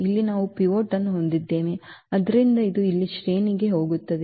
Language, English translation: Kannada, Here we have pivot so that will go count to the rank here